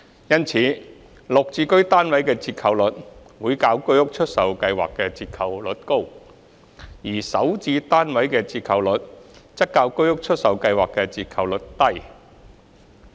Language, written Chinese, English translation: Cantonese, 因此，綠置居單位的折扣率會較居屋出售計劃的折扣率高，而首置單位的折扣率則較居屋出售計劃的折扣率低。, Therefore the discount rate of GSH units would be higher than that for HOS sale exercise while the discount rate of SH units would be lower than that for HOS sale exercise